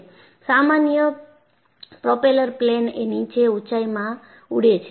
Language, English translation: Gujarati, Inthe ordinary propeller planes, they fly at lower altitudes